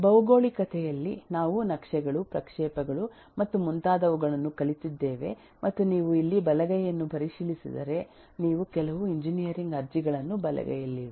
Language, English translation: Kannada, in geography we have eh learnt models of maps, projections and so on and if you look into the right hand side eh in here these are on the right hand side are some of the engineering applications